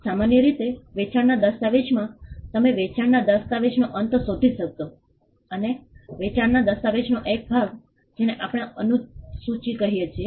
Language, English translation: Gujarati, In a sell deed typically, you would find towards the end of the sale deed, a portion of the sale deed what we call the schedule